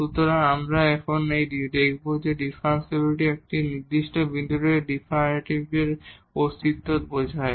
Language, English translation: Bengali, So, the now we will see the differentiability implies the existence of the derivative at a given point